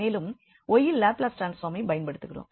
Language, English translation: Tamil, So, that will be the product of the Laplace transform